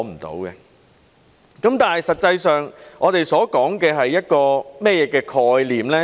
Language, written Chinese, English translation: Cantonese, 但實際上，我們所說的是一個怎麼樣的概念呢？, But actually what is this concept under discussion all about?